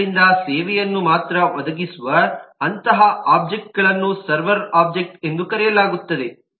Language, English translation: Kannada, so such objects, which only provide service, are known as the server objects